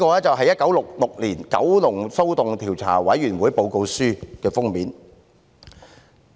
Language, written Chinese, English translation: Cantonese, 這是《一九六六年九龍騷動調查委員會報告書》的封面。, This is the cover of the Kowloon Disturbances 1966 Report of Commission of Inquiry the Report